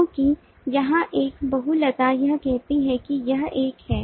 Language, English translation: Hindi, because a multiplicity here says it is one